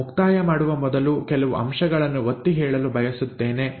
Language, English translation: Kannada, Before I wind up, I just want to highlight few points